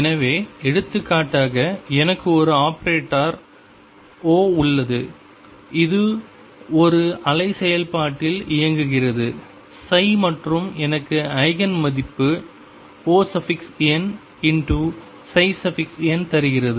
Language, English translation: Tamil, So, for example suppose I have an operator O which operates on a wave function psi and gives me the Eigen value O n psi n